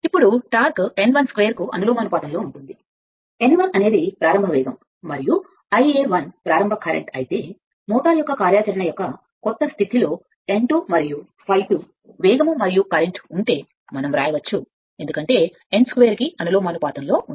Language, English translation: Telugu, Now, also given that torque is proportional to n 1 square, if n 1 is the initial speed and I a 1 is the initial current, while n 2 and I a 2 at speed and current at the new condition of operation of the motor then, we can write because, it is T proportional to n square